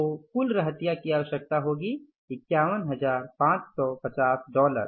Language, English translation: Hindi, So total inventory requirement will be this is your 51,550